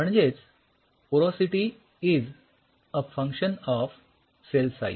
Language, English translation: Marathi, So, porosity is a function of your cell size